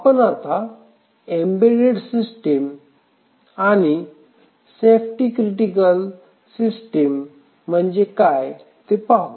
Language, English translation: Marathi, So, we will see what is an embedded system and what is a safety critical system